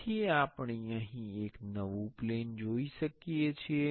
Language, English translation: Gujarati, So, here we can see there is a new plane